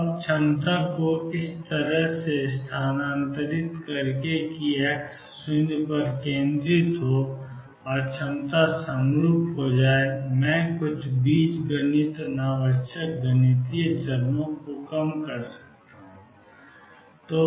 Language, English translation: Hindi, Now by shifting the potential in such a manner that centralized at x equal 0 and the potential becomes symmetry I can reduce some algebra unnecessary mathematical steps